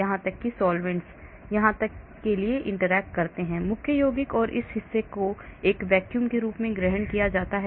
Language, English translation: Hindi, so up to that so solvents here interact with the main compound and this portion is assumed as a vacuum